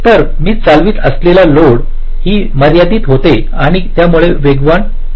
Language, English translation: Marathi, so the load it is driving also gets limited and hence it will be fast